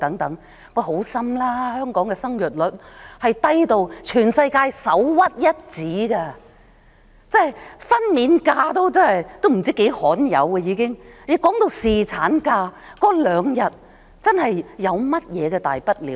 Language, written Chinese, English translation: Cantonese, 放心，香港的生育率低到全世界首屈一指，分娩假已相當罕有，增加兩天侍產假有何大不了？, The birth rate of Hong Kong is among the lowest in the world . People rarely take maternity leave . What is the big deal of granting two additional days of paternity leave?